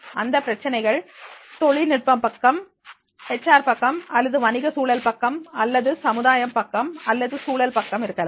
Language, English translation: Tamil, The problems can be on the basis of the technical side and can be basis on the HR side or basis on the business environmental or the social side or environmental side